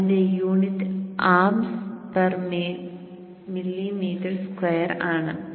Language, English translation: Malayalam, So this is generally in terms of amps per ym square